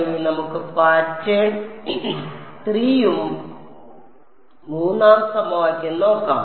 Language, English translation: Malayalam, Now let us see the pattern 3rd equation